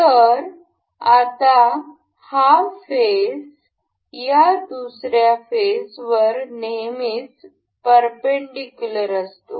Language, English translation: Marathi, So, now, this this face is always perpendicular to this face